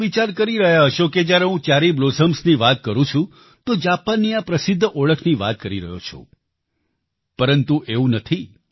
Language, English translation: Gujarati, You might be thinking that when I am referring to Cherry Blossoms I am talking about Japan's distinct identity but it's not like that